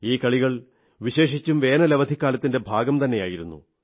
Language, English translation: Malayalam, These games used to be a special feature of summer holidays